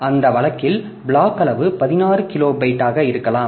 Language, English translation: Tamil, So, block size in that case may be 16 kilobyte